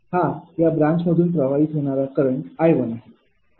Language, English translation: Marathi, this is the current flowing through this branch i one